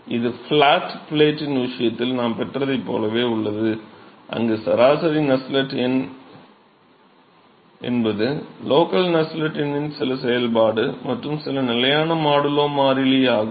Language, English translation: Tamil, It is very similar to what we got in the flat plate case where the average Nusselt number is some function of the or some constant modulo constant of the local Nusselt number itself